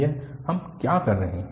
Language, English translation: Hindi, So, what we are doing now